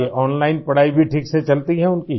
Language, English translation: Hindi, Are their online studies going on well